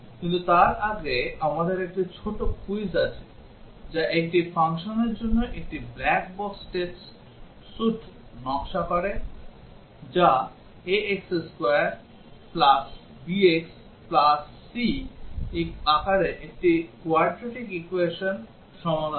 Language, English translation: Bengali, But before that let us have a small quiz which is about designing a black box test suite for a function that solves a quadratic equation in the form a x square b x plus c